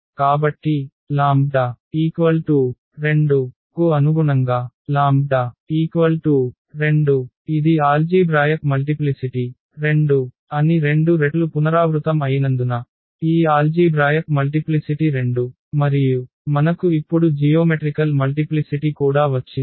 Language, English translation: Telugu, So, corresponding to those lambda is equal to 2 because it was repeated this 2 times the algebraic multiplicity was 2, this algebraic multiplicity of this was 2 and we also got now the geometric multiplicity